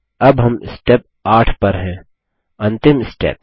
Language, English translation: Hindi, Now we are in Step 8 the final step